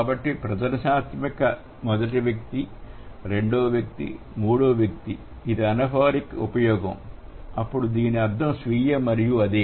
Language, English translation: Telugu, So, demonstrative, first person second person, third person and this is the anapheric use, then this means self and same